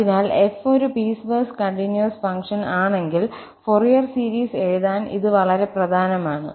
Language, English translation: Malayalam, So, if f is a piecewise continuous function, that is obviously important to write down the Fourier series itself